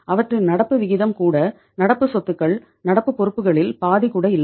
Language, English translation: Tamil, That is even their current ratio is current assets are not even half of the current liabilities